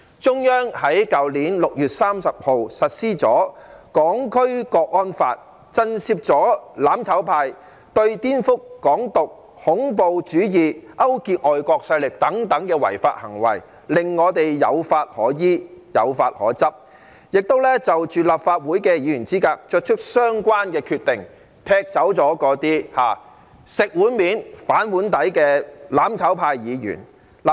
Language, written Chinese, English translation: Cantonese, 中央在去年6月30日實施了《香港國安法》，震懾了"攬炒派"顛覆、"港獨"、恐怖主義、勾結外國勢力等違法行為，令我們有法可依，有法可執；亦就立法會議員資格作出相關的決定，踢走了那些"食碗面、反碗底"的"攬炒派"議員。, The Central Authorities implemented the Hong Kong National Security Law on 30 June last year to deter the mutual destruction camp from committing unlawful acts such as subversion advocating Hong Kong independence terrorism collusion with foreign forces so that we have a law in place to comply with and enforce . A relevant decision has also been made on the eligibility of Members of the Legislative Council to kick out those Members from the mutual destruction camp who bite the hand that feeds them